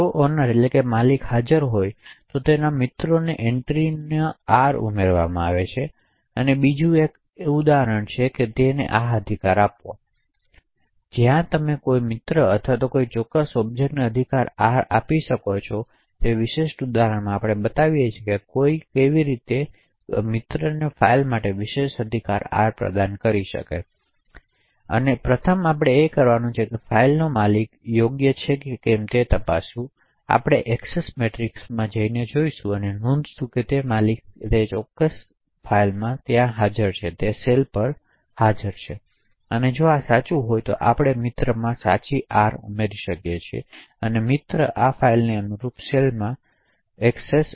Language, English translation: Gujarati, If the owner is present then you have the right to add R into that friends entry, so another example is this confer right, where you can confer right R to a friend or a particular object, so in this particular example we show how someone can confer the particular right R for a file to a friend, so the first thing to do is to check whether the owner of the file is the right owner, we do this by looking at the Access Matrix and noting whether owner is present in that particular cell corresponding to owner and file and if this is true then we can add the right R into friend, file into the cell corresponding to friend, file